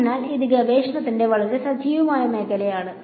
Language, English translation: Malayalam, So, this is a very active area of research